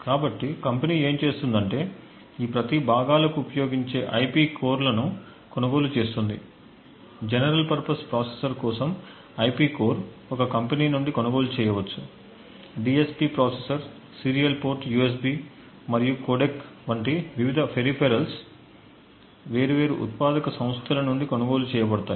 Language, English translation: Telugu, So what the company would do is that it would purchase IP cores for each of these components and IP core for the general purpose processor another IP core maybe from another company, for the DSP processor if all the various peripherals such as the serial port USB the codec and so on would all be purchased from different manufacturing entities